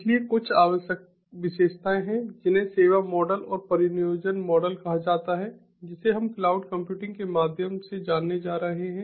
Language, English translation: Hindi, so there are some essential characteristics, something called the service models and the deployment models which we are going to go through, of cloud computing